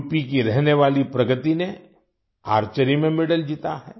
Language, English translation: Hindi, Pragati, a resident of UP, has won a medal in Archery